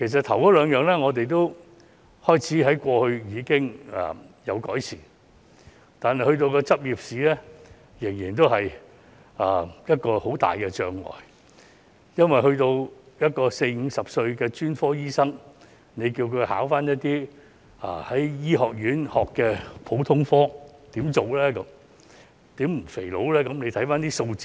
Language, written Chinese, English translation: Cantonese, 前兩者已有所改善，但執業試仍然是很大的障礙，因為要求四五十歲的專科醫生考一些在醫學院學的普通科知識，叫他怎麼辦呢？, The first two aspects have been improved yet the licensing examination remains a major obstacle . How can we expect a 40 to 50 - year - old specialist doctor to pass the examination in general medicine that they have learnt in medical school?